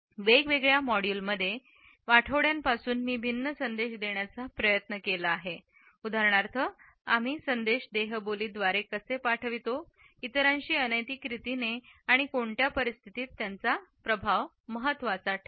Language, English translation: Marathi, Over the weeks in different modules I have try to look at different messages which are communicated through our body language how we do send it; how they are shared in a nonverbal manner with others and under what circumstances their impact matters